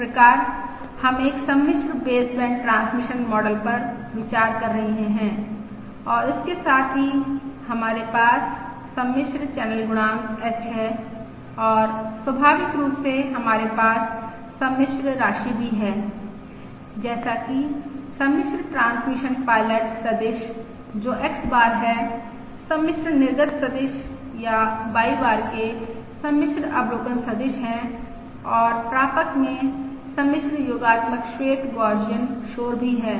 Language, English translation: Hindi, So we are considering a complex baseband transmission transmission model and correspondingly, we have the complex ah channel coefficient H and naturally we also have complex quantity such as the complex transmit pilot vector, which is X bar, the complex output vector or the complex observation vector of Y bar and also complex additive white Gaussian noise at the receiver